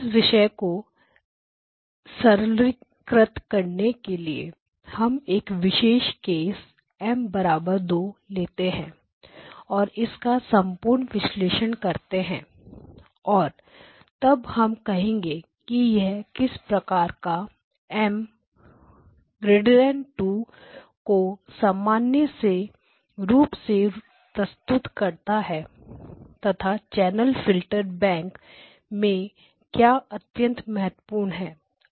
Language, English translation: Hindi, Now to simplify matters we are going to take the special case M equal to 2 and analyze it completely and then make a statement about how does it generalize to M greater than 2 and then present what is the state of the art in terms of the channel M channel filterbanks so we go back to basics